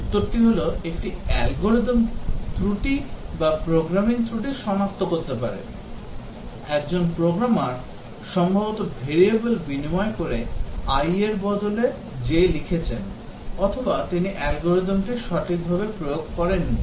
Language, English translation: Bengali, The answer is, can detect an algorithm error or a programming error, a programmer possibly inter change to variables instead of i he wrote j or maybe he did not implement the algorithm correctly